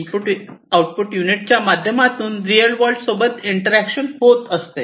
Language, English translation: Marathi, Through this input output, there is interaction with the real world, right